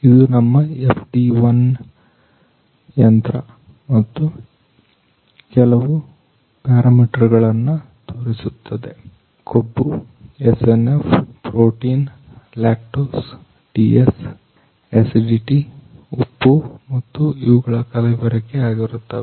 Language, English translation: Kannada, This is our FD 1 machine and this machine shows some parameters like fat, SNF, protein, lactose, TS, acidity, salt and these are adulteration